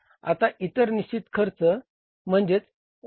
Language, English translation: Marathi, Then is the other fixed cost OFC